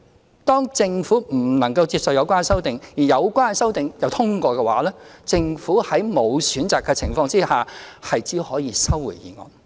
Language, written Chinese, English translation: Cantonese, 如果政府不能接受有關修正案，而有關修正案又獲得通過的話，政府在沒有選擇的情況下，只可以收回《條例草案》。, If the Government is unable to accept these amendments and these amendments are passed then the Government will have no alternative but to withdraw the Bill